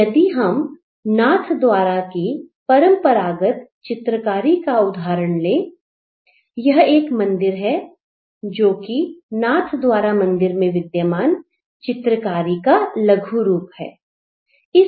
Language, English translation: Hindi, So, if we take a traditional painting from Nathadwara, this is a temple, it is from a temple tradition of Nathadwara of a miniature painting